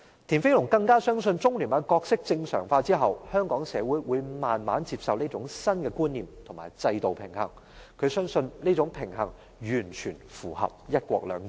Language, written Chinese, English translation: Cantonese, 田飛龍更相信中聯辦的角色正常化後，香港社會會逐漸接受這種新觀念與制度平衡，他相信這種平衡完全符合"一國兩制"。, Mr TIAN Feilong even believes that after the role of the Liaison Office has been normalized the Hong Kong society will gradually accept this kind of new concepts and systemic balance . He believes that this kind of balance is totally in line with the principle of one country two systems